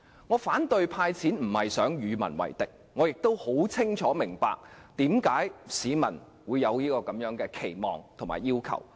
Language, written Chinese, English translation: Cantonese, 我反對"派錢"，並非想與民為敵，我亦清楚明白市民為何會有此期望和要求。, I do not mean to antagonize the public by opposing the initiative . In fact I clearly understand why the public have such an expectation and demand